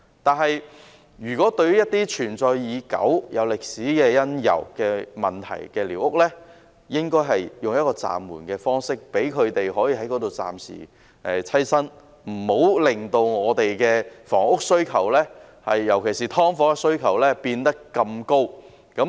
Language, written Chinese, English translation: Cantonese, 但是，對於一些存在已久、有歷史因由的寮屋，應該用一個暫緩的方式，容許居民暫時棲身，不要令房屋需求，尤其是對"劏房"的需求變得這麼大。, But for squatter huts that have existed for a long time and for historical reasons their removal should be suspended to allow the residents to live there temporarily in order not to boost the demand for housing especially the demand for subdivided units